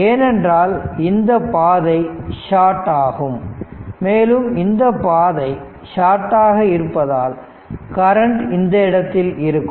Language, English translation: Tamil, And because this path is short and as this path is short so current will take this place